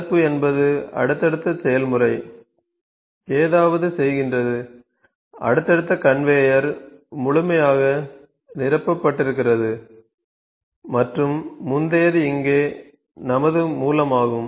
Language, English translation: Tamil, Block means that the successor the process is doing something successive conveyor is completely fail and the predecessor that is the our source here